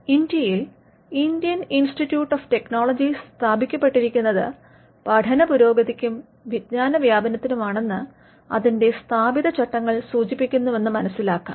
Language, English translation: Malayalam, Know if you look at the statute that establishes the Indian Institute of Technologies in India, you will find that it refers to advancement of learning and dissemination of knowledge